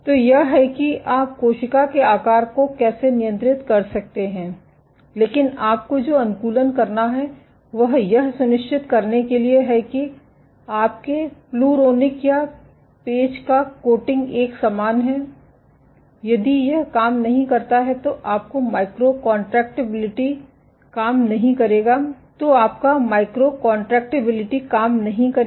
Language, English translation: Hindi, So, that is how you can control cell shape, but what you have to optimize is to make sure that your coating of pluronic or peg is uniform if this does not work then your micro contractibility would not work